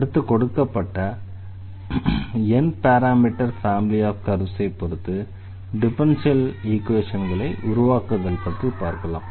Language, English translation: Tamil, We have also seen in this lecture that how to this form differential equation out of the given of parameter n parameter family of curves